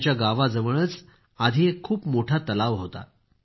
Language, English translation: Marathi, Close to her village, once there was a very large lake which had dried up